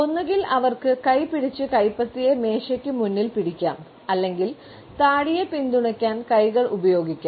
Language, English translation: Malayalam, Either they can clench the hand and hold them in their palm in front of the table all they can use the clenched hands to support their chin